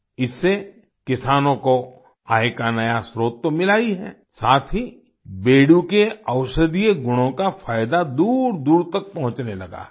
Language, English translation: Hindi, Due to this, farmers have not only found a new source of income, but the benefits of the medicinal properties of Bedu have started reaching far and wide as well